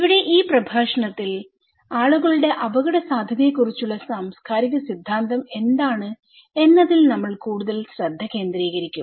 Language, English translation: Malayalam, Here, in this lecture, we will focus more what the cultural theory is talking about people's risk perceptions